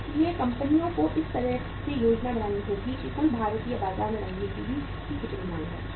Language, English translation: Hindi, So companies have to plan in a way that how much is going to the demand for the colour TVs in the total Indian market